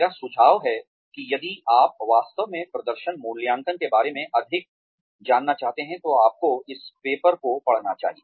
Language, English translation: Hindi, I suggest that, if you really want to know more about performance appraisal, you should go through this paper